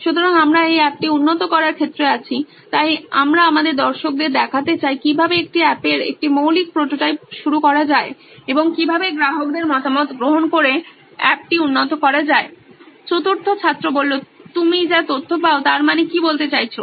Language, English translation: Bengali, So, we are in terms of improving this app so we want to show our viewers how to start a basic prototype of an app and how to improve the app by taking customer feedback The information you get, what do you mean